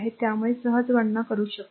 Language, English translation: Marathi, So, you can easily compute